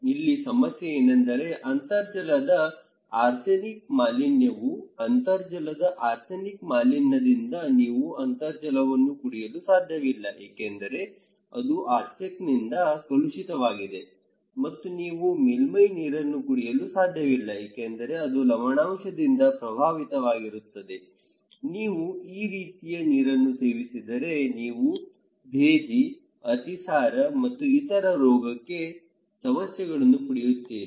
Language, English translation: Kannada, What is the problem here is that arsenic contamination of groundwater so, arsenic contamination of groundwater you cannot drink the groundwater because it is contaminated by arsenic and you cannot drink surface water because it is saline affected by salinity, is the kind of salty if you get, you will get dysentery, diarrhoea and other health problem